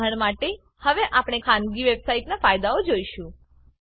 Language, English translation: Gujarati, For e.g We will now see the advantages of private websites